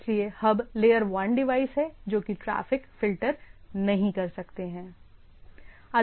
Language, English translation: Hindi, So, hubs are layer 1 devices, cannot filter traffic